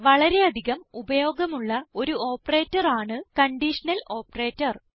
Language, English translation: Malayalam, One of the most commonly used operator is the Conditional Operator